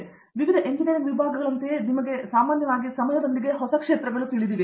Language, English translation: Kannada, So, you know like with various engineering disciplines, with a passage of time you know generally new areas come up